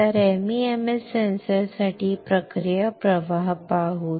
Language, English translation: Marathi, So, let us see the process flow for MEMS sensor